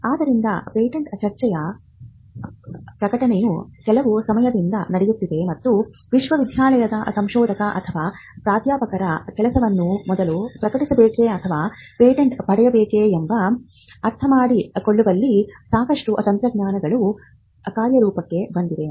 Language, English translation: Kannada, So, the publish of patent debate has been reading for some time and there is quite a lot of strategies that come into play in understanding whether the work of a researcher or a professor in a university should first be published or whether it should be patented